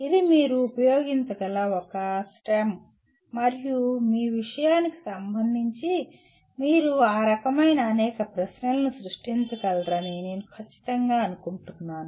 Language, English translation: Telugu, This is a STEM that you can use and with respect to your subject I am sure you can generate several questions of that type